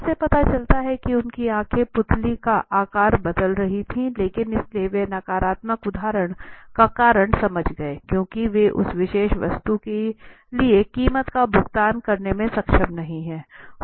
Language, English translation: Hindi, it shows that their eyes were getting the pupil was changing the size of the pupil was changing but so they understood the reason for the negative answer because they were not able to pay the price for that particular items